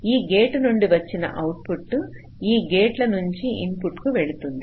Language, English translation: Telugu, suppose the output of a gate goes to the input of three gates